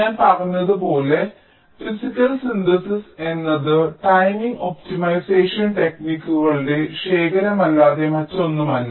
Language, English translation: Malayalam, so physical synthesis, as i have said, is nothing but collection of timing optimization techniques